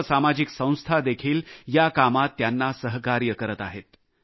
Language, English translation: Marathi, Many social organizations too are helping them in this endeavor